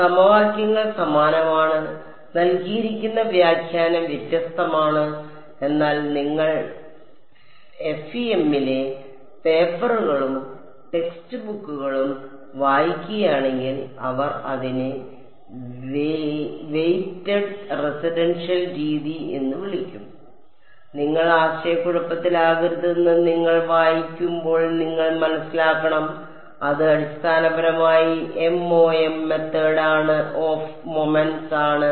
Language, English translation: Malayalam, The equations are same this is a interpretation given is different ok, but if you read papers and text books on the fem they will call it a weighted residual method; when you read that you should not get confused, you should realize; it is basically MOM Method of Moments right